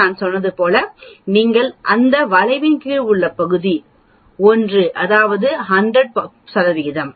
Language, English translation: Tamil, If you look at the area as I said the area under the curve is 1 that is 100 percent